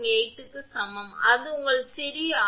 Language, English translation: Tamil, 718 that is your small r